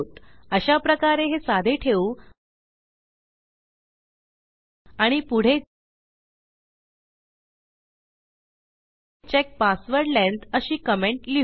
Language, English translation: Marathi, So, just to keep it simple and then otherwise we will say check password length